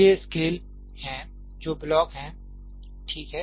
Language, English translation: Hindi, These are scales which are blocks, right